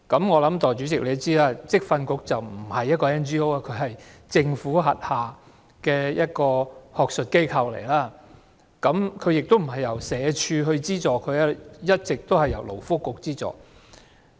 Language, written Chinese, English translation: Cantonese, 我想代理主席也知道，職訓局不是一間 NGO， 只是政府轄下一個學術機構，而且亦不是由社署資助，而是一直由勞工及福利局資助。, I believe Deputy President is aware that VTC is not an NGO but an academic institution under the Government and it is also not funded by SWD but it has been funded by the Labour and Welfare Bureau